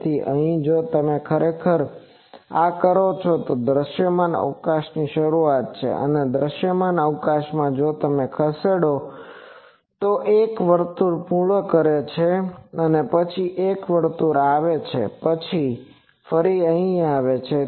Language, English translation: Gujarati, So, here actually if you do this that, so this is the start of visible space and throughout the visible space, if you moves, it moves completes one circle and then come one circle once then again come here